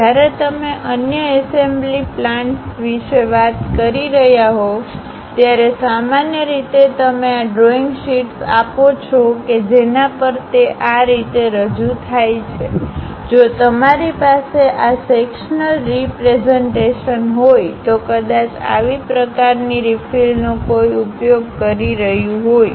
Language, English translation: Gujarati, When you are communicating with other assembly plans, usually you circulate these drawing sheets on which it is clearly represented like; if you have having this sectional representation, perhaps such kind of refill one might be using it